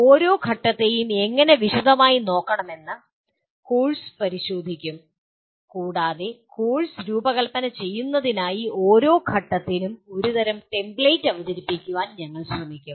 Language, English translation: Malayalam, The course will look at how to look at each phase in detail and we will try to present a kind of a template for each phase for designing the course